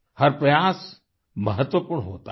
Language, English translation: Hindi, Every effort is important